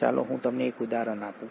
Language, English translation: Gujarati, Let me give you an example